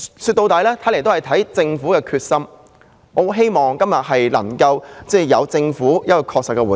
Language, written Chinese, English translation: Cantonese, 說到底，一切視乎政府的決心，我希望政府今天就能給予確切的回應。, After all it all depends on the determination of the Government . I hope that the Government could give us a definite response